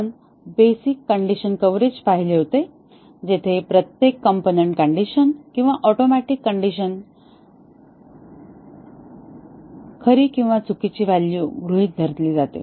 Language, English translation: Marathi, We had looked at the basic condition coverage, where every component condition or atomic condition is made to assume true and false values